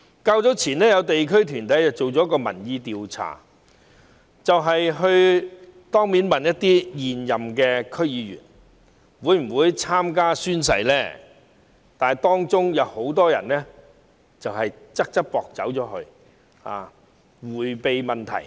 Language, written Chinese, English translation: Cantonese, 較早前，有地區團體進行民意調查，當面詢問一些現任區議員會否宣誓，當中很多人"側側膊"離開，迴避問題。, In an opinion survey conducted by a local organization earlier some incumbent DC members were asked face to face whether they would take the oath . Many of them slipped away to avoid answering the question